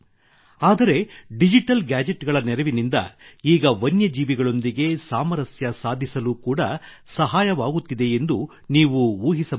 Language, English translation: Kannada, But can you imagine that with the help of digital gadgets, we are now getting help in creating a balance with wild animals